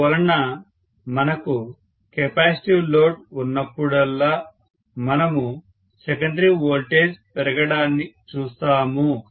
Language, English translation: Telugu, So whenever we have capacitive load we will see that the secondary voltage rises